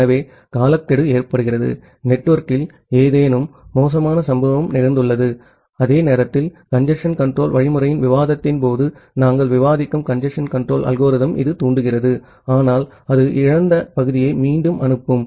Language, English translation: Tamil, So, timeout occurs means, something bad has happened in the network and simultaneously it also triggers the congestion control algorithm that we will discuss during the discussion of the congestion control algorithm, but it also retransmit the lost segment